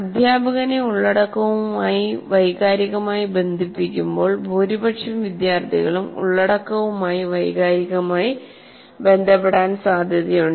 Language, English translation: Malayalam, When the teacher is connected emotionally to the content, there is possibility, at least majority of the students also will get emotionally get connected to the content